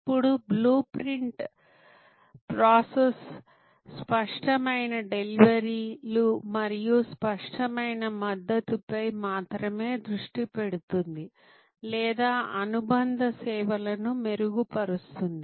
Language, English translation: Telugu, Now, the blue print process only focuses on explicit deliveries and explicit supports or what we call enhancing and supplement services